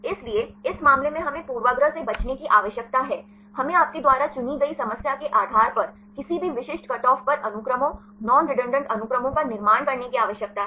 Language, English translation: Hindi, So, in this case we need to avoid bias, we need to construct the sequences, non redundant sequences at any specific cut off depending upon the problem you choose